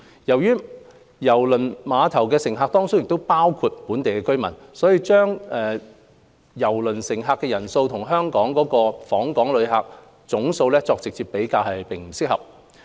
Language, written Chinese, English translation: Cantonese, 由於郵輪碼頭的乘客當中包括本地居民，把郵輪乘客人數和訪港旅客總數作直接比較，並不合適。, As cruise passengers include local residents it is inappropriate to make direct comparison between the cruise passenger throughput and the total number of visitors to Hong Kong